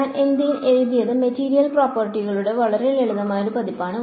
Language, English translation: Malayalam, I have what I have written is a very simplified version of material properties